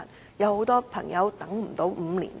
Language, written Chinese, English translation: Cantonese, 主席，很多朋友根本無法等候5年。, President many patients are utterly unable to wait five years